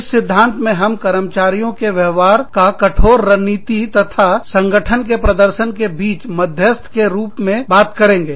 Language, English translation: Hindi, In this theory, we will talk about, the employee behavior, as the mediator between, strict strategy, and firm performance